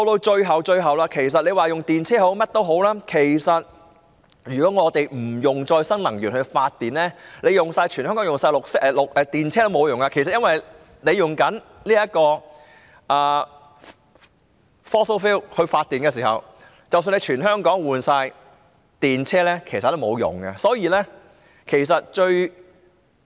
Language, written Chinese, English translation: Cantonese, 最後，其實不論用電動車也好，甚麼也好，但如果我們不採用可再生能源來發電，即使全香港使用電動車也沒用，因為如果香港利用 fossil fuel 發電，即使全港的汽車更換為電動車也沒用。, Lastly if we do not use renewable energy to generate electricity it is useless to adopt electric vehicles or whatever across the territory because if Hong Kong uses fossil fuel to generate electricity it is useless even to replace all the vehicles in Hong Kong with electric ones